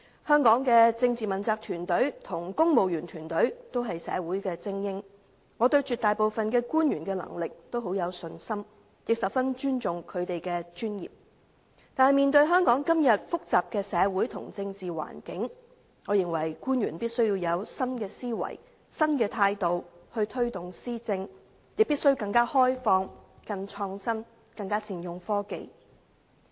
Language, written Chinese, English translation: Cantonese, 香港的政治問責團隊和公務員團隊均是社會的精英，我對絕大部分官員的能力甚有信心，亦十分尊重他們的專業，但面對香港今天複雜的社會和政治環境，我認為官員必須以新思維、新態度推動施政，亦必須更開放、更創新、更善用科技。, I also have great respect for their professionalism . However facing the complicated social and political environment in Hong Kong today I think the officials must take forward administration with a new mindset and a new attitude . They must also be more open - minded and more innovative and make better use of technology